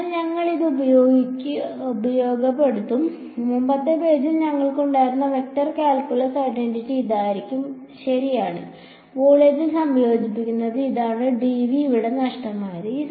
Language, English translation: Malayalam, So, we will we will make use of this, going back to what the vector calculus identity we had on the previous page was this right and that integrated over volume this is dv is missing over here right